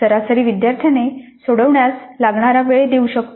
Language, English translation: Marathi, Time expected to be taken to solve by an average student